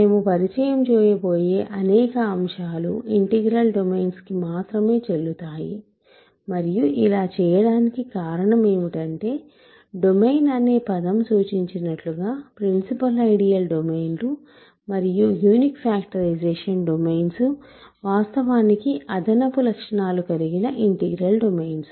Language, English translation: Telugu, So, many of the concepts that we will introduce are valid only for integral domains and the reason we do this is principal ideal domains, unique factorization domains as the word domain suggests, they are actually integral domains and with additional properties